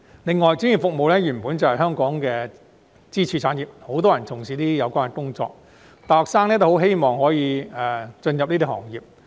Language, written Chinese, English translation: Cantonese, 另外，專業服務原本就是香港的支柱產業，很多人從事有關工作，大學生均希望可投身這些行業。, Furthermore professional services have always been one of our pillar industries in Hong Kong with a large number of practitioners and many university students are eager to join the relevant trades and businesses